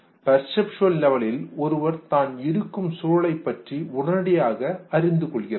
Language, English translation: Tamil, At perceptual level one becomes aware of the immediate environment